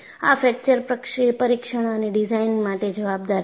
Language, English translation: Gujarati, And this is accounted for, in fracture testing and design